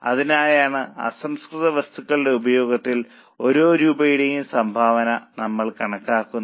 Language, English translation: Malayalam, So, we will calculate contribution per rupee of raw material consumption